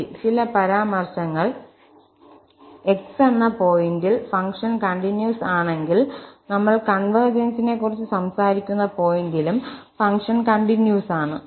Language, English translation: Malayalam, Well, so some remarks, if the function is continuous at a point x, if it happens that the function is continuous at that point where we are talking about the convergence